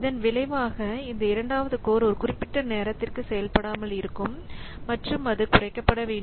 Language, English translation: Tamil, So as a, this second core will remain idle for a good amount of time and that has to be reduced